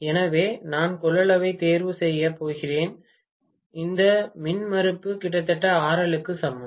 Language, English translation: Tamil, So, I am going to choose the capacitance is such a way that this impedance is almost equal to RL itself